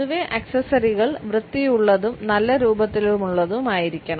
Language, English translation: Malayalam, In general it can be said that accessories need to be clean and in good shape